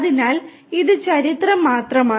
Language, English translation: Malayalam, So, this is just the history